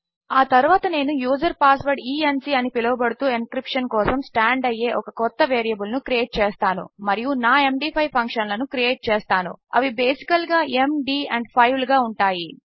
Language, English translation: Telugu, Next Ill create a new variable called user password e n c which stands for encryption and Ill define my MD5 functions, which is basically m,d and 5